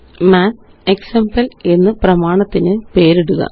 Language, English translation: Malayalam, Name the document as MathExample1